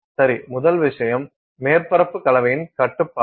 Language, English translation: Tamil, Well, the first thing is the control of surface composition